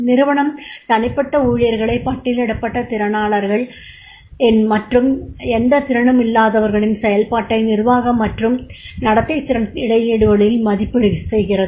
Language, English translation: Tamil, The company appraisers individual employees on the listed competencies and zeros is on the functional managerial and behavioral skill gaps